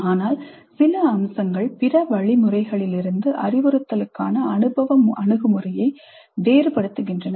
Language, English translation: Tamil, But there are certain features which are used to distinguish experiential approach to instruction from other forms of instruction